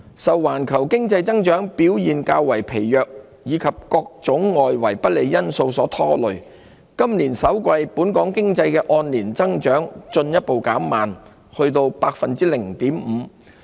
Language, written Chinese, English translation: Cantonese, 受環球經濟增長表現較為疲弱及各種外圍不利因素所拖累，本港經濟今年首季的按年增長進一步減慢至 0.5%。, Real GDP growth in Hong Kong eased further to 0.5 % in the first quarter of this year on a year - on - year basis weighed down by the weaker performance of the global economy and the various external headwinds